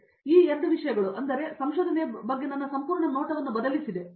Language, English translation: Kannada, So, these two things actually changed my complete view on research before and after that